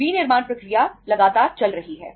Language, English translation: Hindi, Manufacturing process is continuously going on